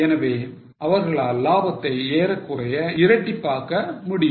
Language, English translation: Tamil, So, they could nearly double their profit